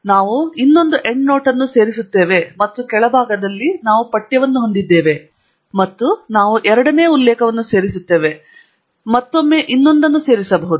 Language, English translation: Kannada, So, we add one more endnote, and at the bottom we have the text, and we would add the second reference, and again, may be one more